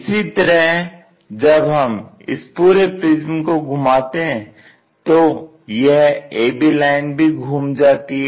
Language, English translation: Hindi, Similarly, when we are rotating this entire thing this a b line also gets rotated